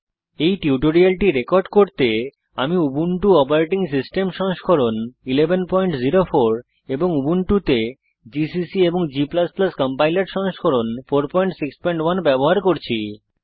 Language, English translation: Bengali, To record this tutorial, I am using Ubuntu Operating System version 11.04 gcc and g++ Compiler version 4.6.1 on Ubuntu